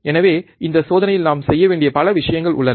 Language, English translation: Tamil, So, there are several things that we have to do in this experiment